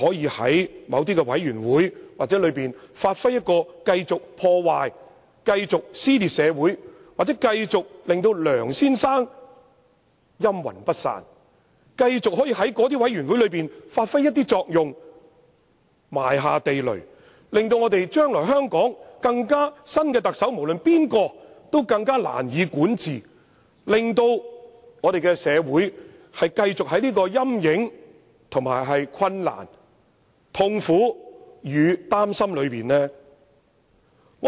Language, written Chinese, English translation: Cantonese, 這些人又會否在某些委員會中發揮繼續破壞、撕裂社會的作用，令梁先生"陰魂不散"，繼續影響這些委員會的工作，埋下地雷，令將來無論誰人當上特首也更難管治，令香港社會繼續處於其陰影之下，以及困難、痛苦與擔憂之中？, Will these people continue to cause damage and social split in certain committees thus enabling the spectre of Mr LEUNG to haunt and influence these committees? . Will they place landmines here and there to make it even more difficult for any Chief Executive to govern Hong Kong in the future? . Will they seek to make Hong Kong continue to live under his spectre and difficulties agony and anxiety?